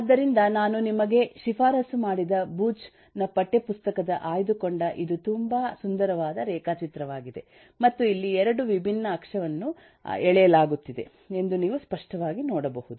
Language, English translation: Kannada, so this the very nice diagram from the text book that I have recommended to you from the booch’s text book and you can see very clearly that, eh, here the 2 different axis are being drawn